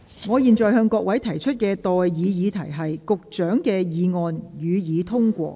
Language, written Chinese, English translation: Cantonese, 我現在向各位提出的待議議題是：保安局局長動議的議案，予以通過。, I now propose the question to you and that is That the motion moved by the Secretary for Security be passed